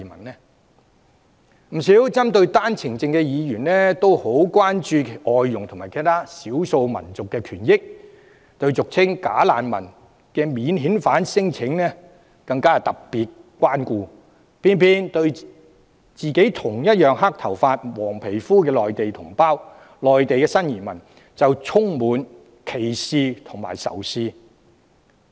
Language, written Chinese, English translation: Cantonese, 不少針對單程證制度的議員也很關注外傭及其他少數族裔的權益，對俗稱"假難民"的免遣返聲請者更特別關顧，卻偏偏對與自己同樣是黑頭髮與黃皮膚的內地同胞及新移民充滿歧視和仇視。, Many Members who pick on the OWP scheme are concerned about the rights of foreign domestic helpers and other ethnic minorities in addition to the special care they give to the so - called bogus refugees or non - refoulement claimants . These Members in a dismaying contrast harbour discrimination and hatred towards Mainland compatriots and new arrivals who have black hair and yellow complexion like themselves